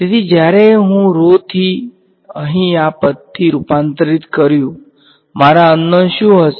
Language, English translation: Gujarati, So, when I converted from rho to this guy over here what became my unknown